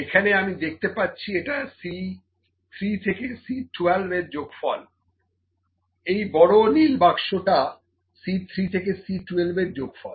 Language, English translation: Bengali, Now if I see this is sum of C 3 to C 12, this big blue box sum of C 3 to 12